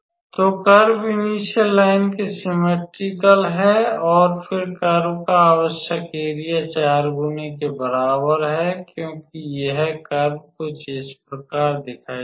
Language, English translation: Hindi, So, the curve is symmetrical about the initial line and then the required area of the curve is equals to 4 times because this curve is will look like something of this type